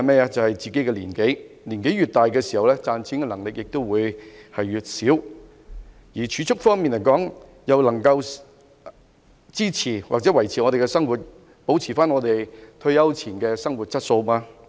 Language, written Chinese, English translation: Cantonese, 答案是自己的年紀，年紀越大，賺錢能力越低，但積蓄能否支持或維持我們的生活，保持退休前的生活質素？, The answer is our age . As we grow older our ability to make money becomes lower . But can our savings support or sustain our living and maintain our pre - retirement quality of life?